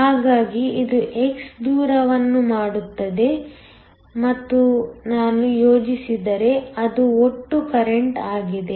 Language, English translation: Kannada, So, if I were to plot that this makes distance x; that is the total current